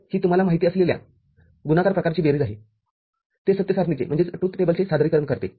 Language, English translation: Marathi, So, this was a sum of product kind of you know, representation of the truth table